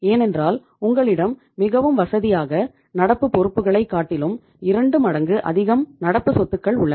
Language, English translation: Tamil, You are most comfortable because you have kept two times of the current asset as compared to the current liabilities